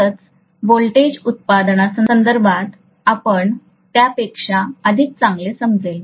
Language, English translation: Marathi, Only then it is going to make better sense in terms of voltage production and so on